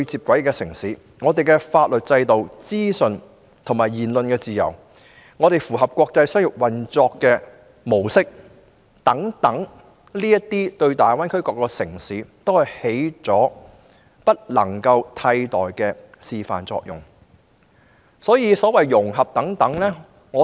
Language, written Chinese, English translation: Cantonese, 本港的法律制度、資訊流通、言論自由及符合國際標準的商業運作模式等，均對大灣區各城市起着不能替代的示範作用。, Given its legal system free flow of information freedom of speech modes of operation that have met international standards and the like Hong Kong has set an indispensable example for other cities in the Greater Bay Area